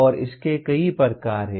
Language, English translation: Hindi, And there are many variants of this